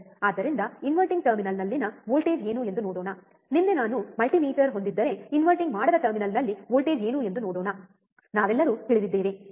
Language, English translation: Kannada, So, what is the voltage at inverting terminal let us see, let us see what is the voltage at non inverting terminal if I have a multimeter yesterday we all know, right